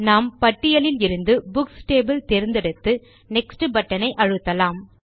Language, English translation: Tamil, We will choose the Books table from the list and click on the Next button